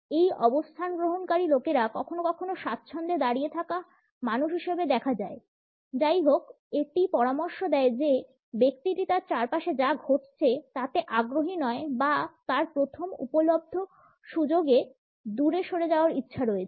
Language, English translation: Bengali, People adopting this stand sometimes come across as comfortably standing people; however, it suggest that the person is not exactly interested in what is happening around him or her rather has a desire to move away on the first available opportunity